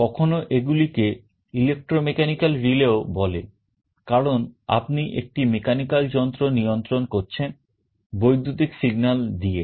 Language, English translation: Bengali, Sometimes these are also called electromechanical relays, because you are controlling a mechanical device, using electrical signals